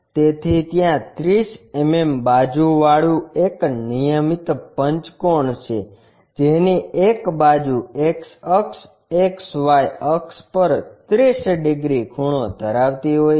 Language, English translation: Gujarati, So, there is a regular pentagon of 30 mm sides with one side is 30 degrees inclined to X axis, XY axis